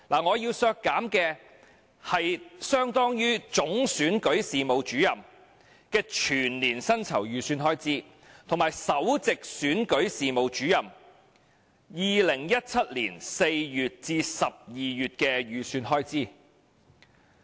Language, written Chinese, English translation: Cantonese, 我要削減的是相當於總選舉事務主任的全年薪酬預算開支，以及首席選舉事務主任2017年4月至12月的薪酬預算開支。, My amendment seeks to reduce the sums equivalent to the annual estimated expenditure for the salary of the Chief Electoral Officer and the estimated expenditure for the salary of the Principal Electoral Officer from April to December 2017